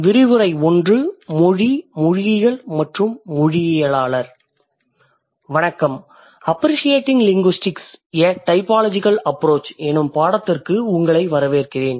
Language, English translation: Tamil, Hi, welcome to my course appreciating linguistics or typological approach